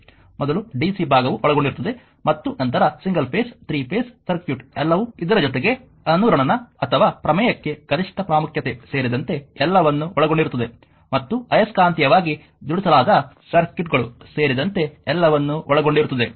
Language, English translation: Kannada, And your first the dc part will be covered and then your single phase, three phases is circuit everything will be covered may have your including resonance or maximum importance for theorem and your what you call that magnetically couple circuits